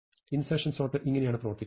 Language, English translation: Malayalam, This is how insertion sort works